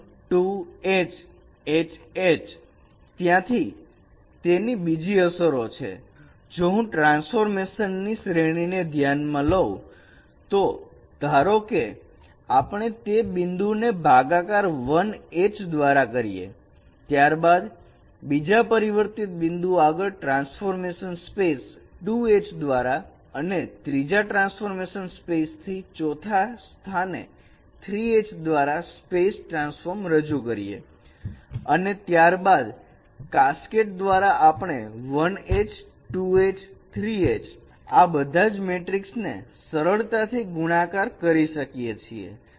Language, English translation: Gujarati, The other implication is that if I consider a series of transformation, suppose we are transforming first those points by H1, next the transformed points to another transformation space by H2 and from the third transformed space to fourth transfer space by H3, then by applying cascade we can simply multiply all these matrices H1, H2, H3 and we can get the single transformation